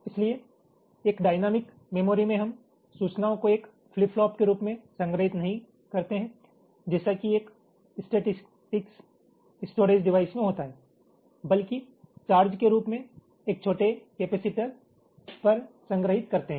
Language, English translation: Hindi, so in a dynamic memory we store the information not as a flip flop as in a classical statics storage device, but as the charge stored on a tiny capacitor